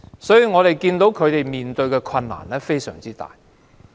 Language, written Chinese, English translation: Cantonese, 所以，她們面對的困難非常大。, So they are in a difficult situation